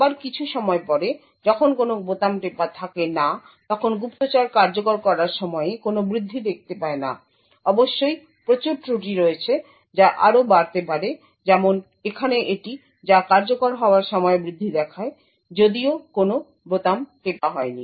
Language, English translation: Bengali, Again after some time when there is no key pressed the spy does not see an increase in the execution time, there are of course a lot of errors which may also creep up like for example this over here which shows an increase in execution time even though no keys have been pressed